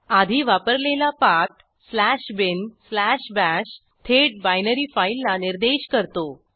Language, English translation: Marathi, Previously used /bin/bash points directly to the binary file